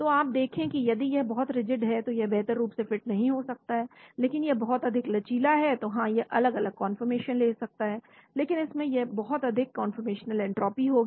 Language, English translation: Hindi, So you see that if it is too much rigid, it might not fit optimally, but if it is too much flexible yes it can take different conformation, but it will have too much of conformational entropy